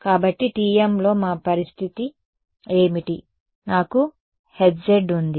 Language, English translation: Telugu, So, in TM what was our situation I had H z